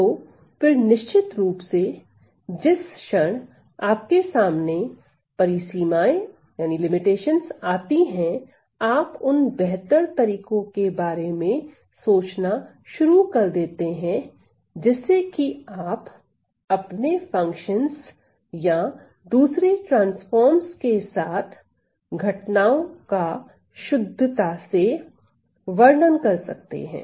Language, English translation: Hindi, So, then of course, the moment you have limitations then people starts start to think about what are better ways to accurately represent our functions or phenomena with other transforms